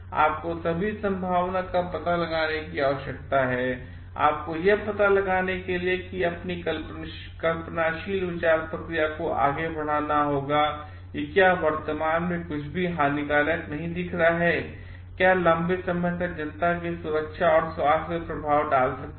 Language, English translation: Hindi, You have to need to explore all the possibilities, you have to extend your imaginative thought process to find out if something even is not appearing to be harmful at present, can it in the long term effect the safety and health of the public at large